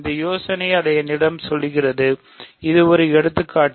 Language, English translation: Tamil, So, this idea will tell me that; so, this is an example